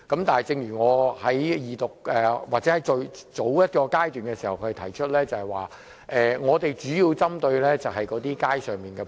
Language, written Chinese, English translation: Cantonese, 但是，正如我在二讀，甚至更早的階段提出，我們主要針對的是，街上店鋪。, Nevertheless as I have said during the Second Reading or the stage earlier than that the major targets of us are on - street shops